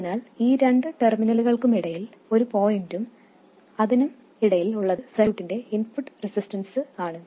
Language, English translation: Malayalam, So, between these two terminals, between this point and that, it is nothing but the input resistance of the circuit